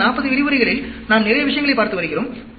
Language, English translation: Tamil, We have been looking at lot of things in the past 40 lectures